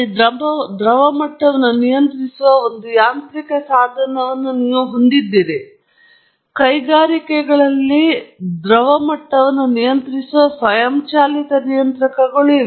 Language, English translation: Kannada, There, of course, you have a mechanical device controlling the liquid level, but in industries there are automated controllers controlling the liquid level